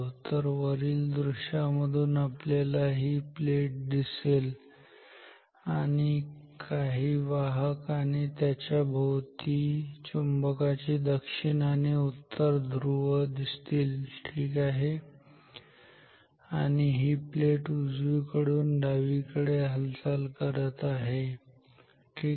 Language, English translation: Marathi, So, from the top view we will have this plate, some conductor and the magnet on top of it north and south ok; and this plate is moving from right to left this is the plate motion